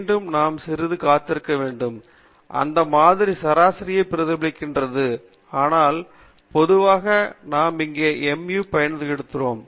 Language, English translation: Tamil, Again, we have to wait a bit; that represents the sample mean, but normally we put mu here